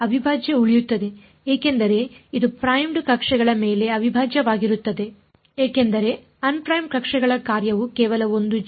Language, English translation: Kannada, The integral will remain because this is integral over primed coordinates the function which is of un primed coordinates is only one g